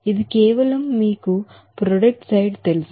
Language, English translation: Telugu, This is for simply you know product side